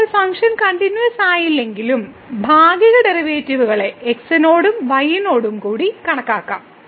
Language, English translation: Malayalam, Now, we will show that though the function is not continuous, but we can compute the partial derivatives with respect to and with respect to